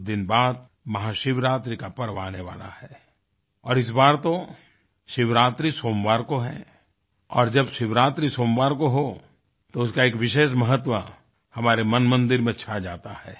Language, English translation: Hindi, In a few days from now, Mahashivrartri will be celebrated, and that too on a Monday, and when a Shivratri falls on a Monday, it becomes all that special in our heart of our hearts